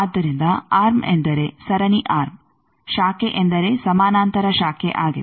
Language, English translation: Kannada, So, arm means series arm branch means a parallel branch